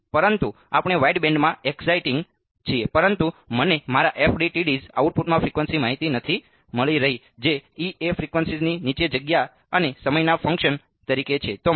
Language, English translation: Gujarati, No, but we are exciting into the wideband, but I am not getting frequency information in my FDTSs output is what E as a function of space and time below frequency